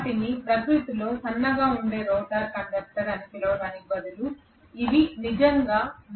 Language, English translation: Telugu, Rather than calling them as rotor conductor which is thin in nature these are rotor bars which are really really thick